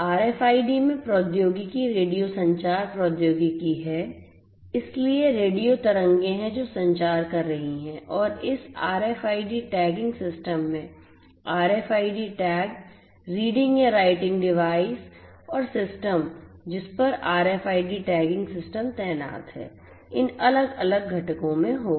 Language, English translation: Hindi, So, in RFID the technology is radio communication technology, so there are radio waves that are communicating and this RFID tagging system will have these different components the RFID tag, the reading or the writing device and the system on which the RFID tagging system is deployed